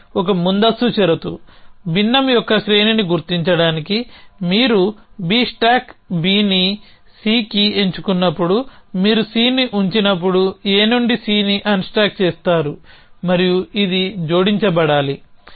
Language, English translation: Telugu, So, this is a pre condition an some we out to figure out that the sequence of fraction is that you unstack C from A when you putdown C when you pick up B stack B on to C and then this needs to be added